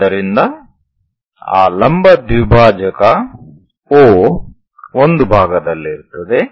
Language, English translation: Kannada, So, that perpendicular bisector O we will be in a portion to know